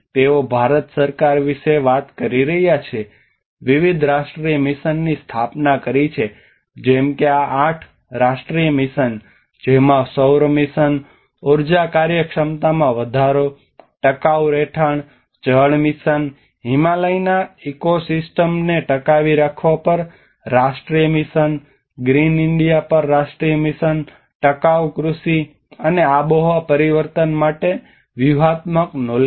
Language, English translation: Gujarati, They are talking about Government of India have established the different national missions like for instance these eight national missions which talks about the solar mission, enhanced energy efficiency, sustainable habitat, water mission, national mission on sustaining Himalayan ecosystems, national mission on green India, sustainable agriculture and strategic knowledge for climate change